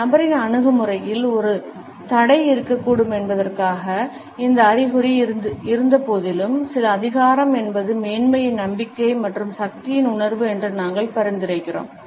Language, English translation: Tamil, Despite this indication that a barrier may be present in the attitude of this individual we find that it suggest is certain authority is sense of superiority confidence and power